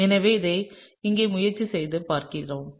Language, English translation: Tamil, So, let me try and draw that out over here